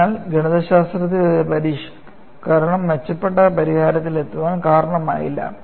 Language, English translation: Malayalam, sSo, a modification in the mathematics alone has not resulted in arriving at an improved solution